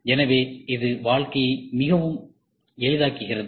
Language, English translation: Tamil, So, this makes the life very easy